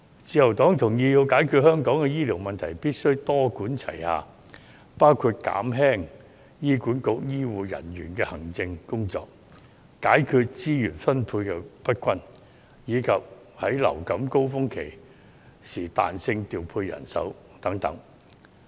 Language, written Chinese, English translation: Cantonese, 自由黨同意如要解決香港的醫療問題，必須多管齊下，包括減輕醫管局醫護人員的行政工作、解決資源分配不均，以及在季節性流行性感冒高峰期間彈性調配人手等。, The Liberal Party agrees that in order to resolve the healthcare problem of Hong Kong a multipronged approach has to be adopted . The measures include reducing the administrative work of healthcare personnel in HA redressing the problem of uneven distribution of resources and deploying manpower flexibly during the seasonal influenza surge